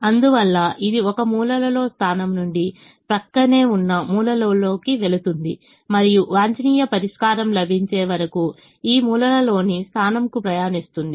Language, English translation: Telugu, therefore it move from one corner point to an adjacent corner point and keeps traveling this corner points till the optimum solution is found